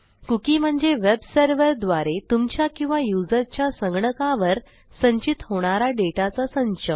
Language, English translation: Marathi, The definition of a cookie is a set of data stored on your computer or the users computer by the web server